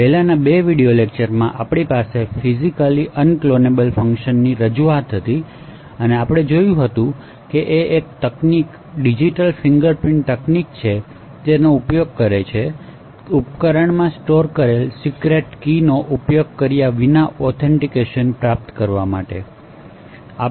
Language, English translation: Gujarati, So in the previous 2 video lectures we had an introduction to physically unclonable functions and we had seen that it is a essentially a technique digital fingerprinting technique that is used to achieve things like authentication without using secret keys stored in a device